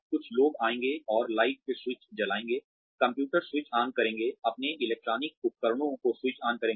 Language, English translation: Hindi, Some people will come, and switch on the lights, switch on the computer, switch on their electronic devices